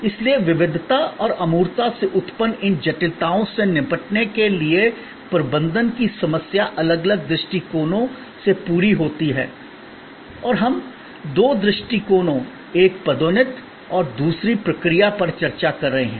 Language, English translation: Hindi, So, the management problem for tackling these complexities arising from heterogeneity and intangibility are met by different approaches and we have been discussing two approaches, one promotion and the other process